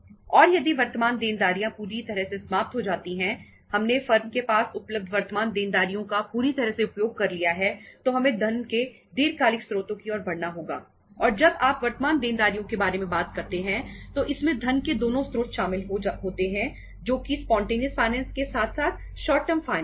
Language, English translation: Hindi, And if current liabilities are fully exhausted we have fully utilized the current liabilities available with the firm then we have to move to the long term sources of the funds and when you talk about the current liabilities it include both the sources of funds that is the spontaneous finance as well as the short term finance